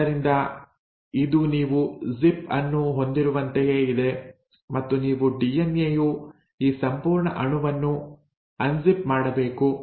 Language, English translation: Kannada, So it is like you have a zip and then you have to unzip this entire molecule of DNA